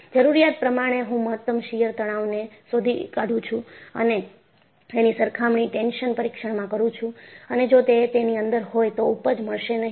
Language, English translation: Gujarati, So, I essentially, find out the maximum shear stress and I compare it, in a tension test and if it is within that, yielding will not occur